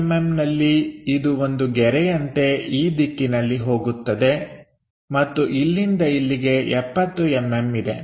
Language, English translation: Kannada, So, at 70 mm this supposed to be some kind of line goes in that direction and from here there is 70 mm